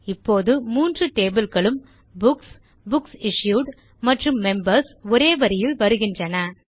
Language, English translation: Tamil, Now we see the three tables Books, Books Issued and Members in a line